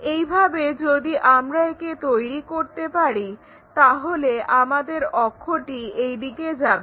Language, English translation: Bengali, In that way, if we can make it our axis goes in that way